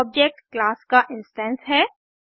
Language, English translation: Hindi, An object is an instance of a class